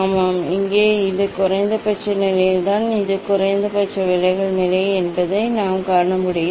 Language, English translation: Tamil, Yes, here it is the minimum position I can see this is the minimum deviation position